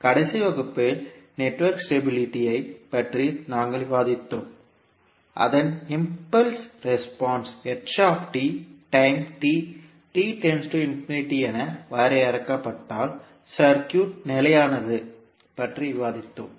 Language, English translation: Tamil, So in the last class we discussed about the network stability, so what we discussed that, the circuit is stable if its impulse response that is ht is bounded as time t tends to infinity